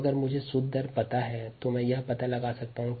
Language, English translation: Hindi, when, if i know the net rate, i can find it out